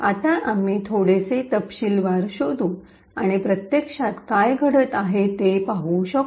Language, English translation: Marathi, Now we could investigate a little bit in detail and see what actually is happening